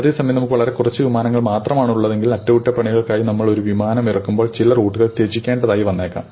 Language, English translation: Malayalam, At the same time if you keep two few planes, then when you bring an aircraft down for maintenance you have to sacrifice some routes